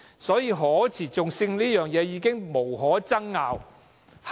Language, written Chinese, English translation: Cantonese, 所以，可持續性這一點，已經無可爭拗。, So the point of sustainability is already beyond dispute